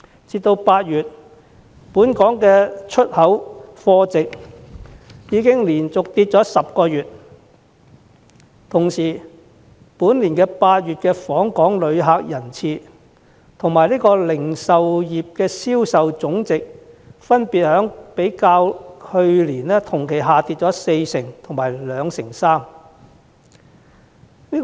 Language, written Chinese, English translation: Cantonese, 截至8月，本港的出口貨值已經連續下跌了10個月，今年8月的訪港旅客人次及零售業銷售總值亦分別較去年同期下跌了四成及二成三。, As at August our export value has been falling for 10 consecutive months while tourist arrivals and total retail sales value in August this year have declined by 40 % and 23 % respectively when compared to the same period last year